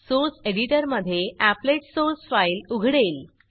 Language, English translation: Marathi, The Applet source file opens in the source editor